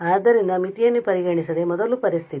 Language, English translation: Kannada, So, without considering the limiting situation first